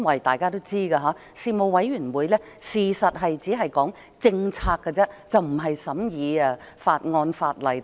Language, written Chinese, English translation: Cantonese, 大家都知道，事務委員會其實只是負責討論政策，而不是審議法案、法例等。, As we all know Panels are only responsible for discussing policies rather than scrutinizing bills legislation etc